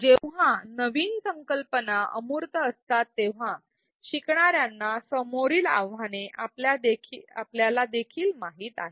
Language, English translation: Marathi, We also know the challenges that learners may face when new concepts are abstract